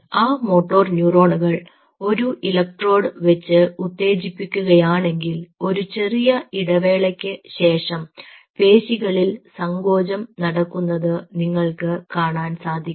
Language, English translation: Malayalam, you stimulate the motor neuron with an electrode you should be able to see, with a time delay, you should be able to see a contraction taking place in the muscle